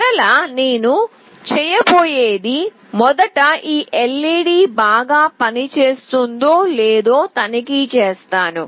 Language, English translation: Telugu, And the first thing again I will do is first I will check whether this LED is working fine or not